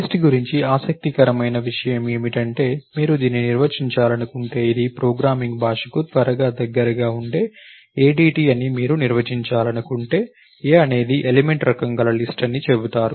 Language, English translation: Telugu, And what is interesting about the list is that you can, if you want to define it is an ADT that is quick closer to the programming language, you will say a is a list of element type